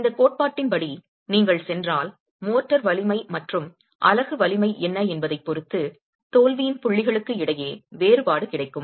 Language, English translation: Tamil, If you go by this theory depending on what the motor strength and the unit strengths are, you will get a disparity between the points of failure